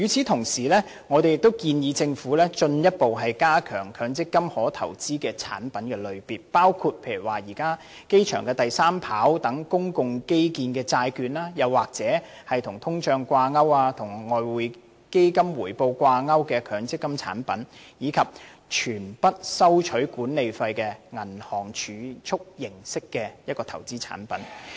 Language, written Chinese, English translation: Cantonese, 同時，我們亦建議政府進一步增加強積金可投資的產品類別，包括現時機場第三條跑道等公共基建的債券，又或是與通脹掛鈎及與外匯基金回報掛鈎的強積金產品，以及全不收取任何管理費的銀行儲蓄形式投資產品。, I have also talked about this approach just now . Meanwhile we also propose that the Government should further broaden the product types available for investment under the MPF System including bonds of public infrastructure such as the current third runway at the airport; or MPF products linked to inflation rates and Exchange Fund returns; and investment products resembling bank deposits that charge no management fees